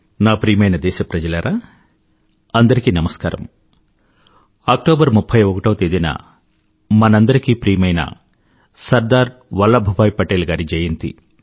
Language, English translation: Telugu, The 31st of October is the birth anniversary of our beloved Sardar Vallabhbhai Patel